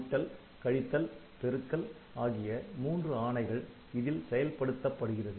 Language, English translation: Tamil, So, multi this was addition, subtraction and multiplication